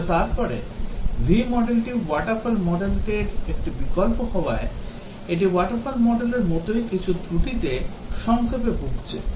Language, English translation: Bengali, But then, the V model being a variant of the waterfall model it suffers from some of the same short comings as the waterfall model itself